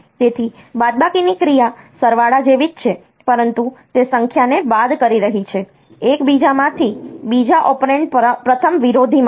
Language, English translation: Gujarati, So, the subtraction operation is similar to addition, but it will be subtracting the number, from one from the other the second operand from the first opponent